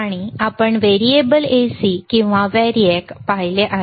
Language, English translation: Marathi, And we have seen a variable AC or variac